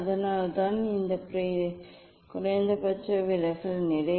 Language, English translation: Tamil, that is why it is a minimum deviation position